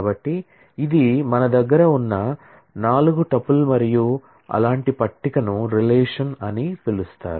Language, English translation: Telugu, So, this is a 4 tuple that we have and such a table is called a relation is as simple as that